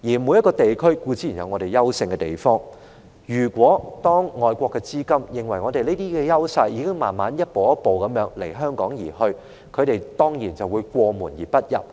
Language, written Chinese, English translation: Cantonese, 每個地區固然都有各自優勝的地方，而如果外國的資金認為香港的優勢已逐步消失，那他們當然會過門而不入。, Given that every region has its own advantages if foreign funds consider that Hong Kongs advantages are gradually disappearing they will certainly skip our door